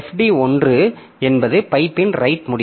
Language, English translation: Tamil, So, for FD 1 is the right end of the pipe